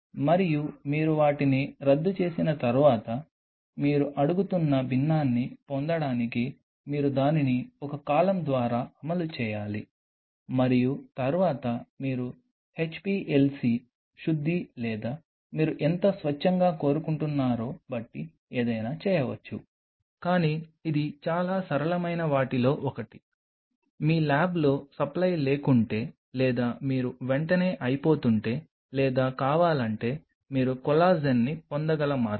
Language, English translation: Telugu, And once you dissolve them then you have to run it through a column to get the fraction you are asking for and then of course, you can do a HPLC purification or something depending on how pure you want it, but this is one of the simplest ways where you can obtain collagen if your lab does not have a supply or you are running out of it immediately or want